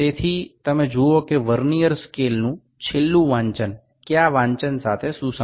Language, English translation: Gujarati, So, you can see that the last reading of the Vernier scale is coinciding with the reading which reading